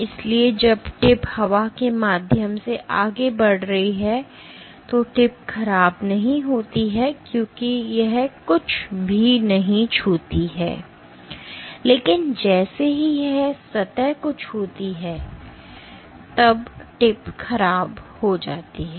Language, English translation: Hindi, So, when the tip is moving through air the tip does not deform right, because it does not touch anything, but as soon as it touches the surface the tip deforms ok